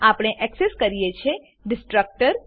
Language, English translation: Gujarati, Then we access the destructor